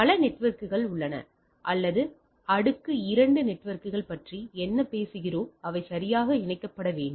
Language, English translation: Tamil, There are several networks right or what we have talking about layer two networks right they need to be connected right